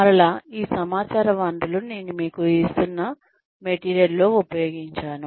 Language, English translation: Telugu, So again, these are the sources of the information, that I have used in the material, that I am giving to you